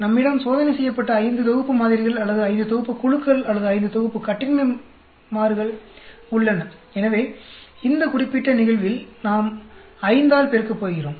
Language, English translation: Tamil, We have five sets of samples or five sets of groups or five sets of independent variables tested; so in this particular case we are going to multiply by 5